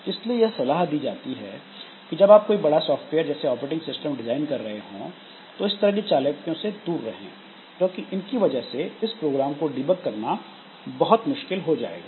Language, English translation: Hindi, So it is advisable that while designing such a big piece of software like operating system, so we try to avoid this clever tricks as much as possible because that will make the program debugging very difficult